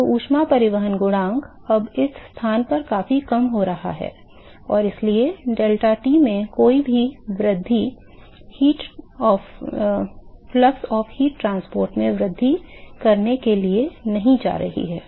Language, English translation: Hindi, So, heat transport coefficient will now at this location C it decreases significantly lower and so, any increase in deltaT is not going to increase in the to increase in the flux of heat transport ok